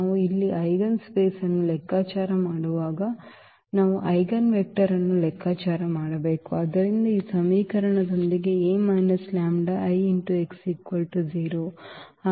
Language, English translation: Kannada, When we compute the eigenspace here meaning we have to compute the eigenvector so with this equation a minus lambda ix is equal to 0